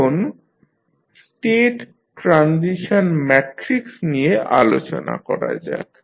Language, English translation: Bengali, Now, let us talk about the State Transition Matrix